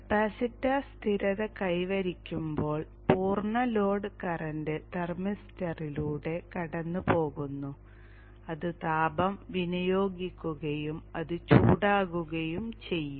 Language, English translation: Malayalam, And as the capacity reaches steady state, the full load current is passing through the thermister and it is dissipating heat and it will become hot